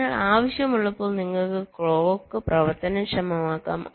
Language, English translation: Malayalam, so when required you can enable the clock, so when required you can disable the clock